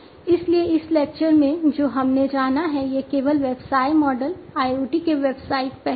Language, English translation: Hindi, So, far in this lecture, what we have covered are only the business models, the business aspects of IoT